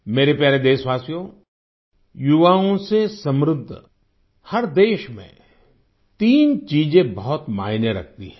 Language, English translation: Hindi, My dear countrymen, in every country with a large youth population, three aspects matter a lot